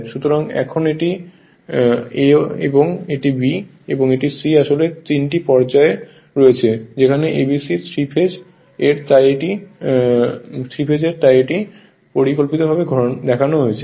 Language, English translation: Bengali, So now this is your A, B, and C this is actually 3 phases are there A B C 3 phase's right, 3 phase's are there so it is schematically it is shown